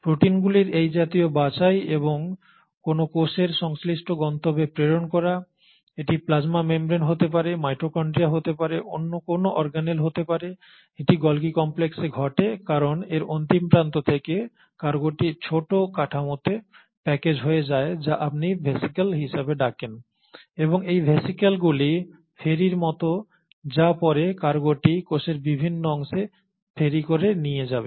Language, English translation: Bengali, That kind of sorting of proteins and sending the proteins to the respective destinations within a cell, it can be a plasma membrane, it can be a mitochondria, it can be any other organelle, that happens at the Golgi complex because from the terminal ends of Golgi complex the cargo gets packaged into small structures which is what you call as the vesicles, and it is these vesicles which are like the ferries which will then ferry the cargo to various parts of the cell